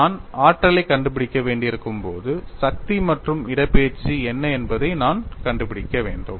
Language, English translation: Tamil, When I have to find out the energy, I need to find out what is the force and displacement